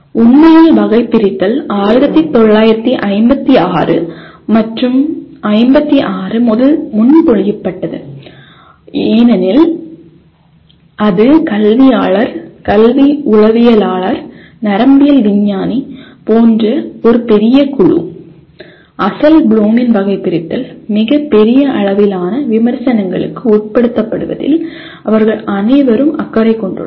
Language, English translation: Tamil, And actually the taxonomy was proposed in 1956 and since ‘56 because this such a large group of educationist, educational psychologist, neuroscientist they are all concerned with that the original Bloom’s taxonomy was subjected to tremendous amount of critic